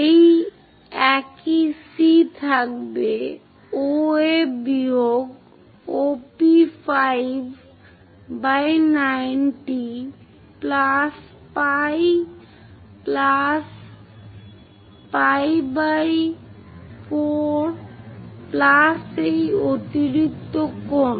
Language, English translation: Bengali, This will remain same C can be OA minus OP5 by 90 plus pi plus pi by 4 plus this extra angle